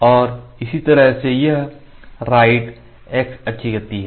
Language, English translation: Hindi, So, this is left x motion x axis motion